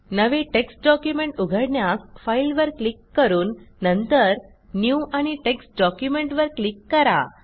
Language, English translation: Marathi, Lets open a new text document by clicking on File, New and Text Document option